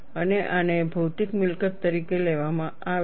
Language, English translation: Gujarati, And this is taken as a material property